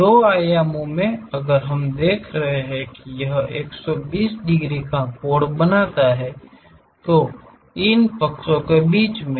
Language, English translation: Hindi, In two dimensions if we are seeing that, it makes 120 degrees angle, in between these sides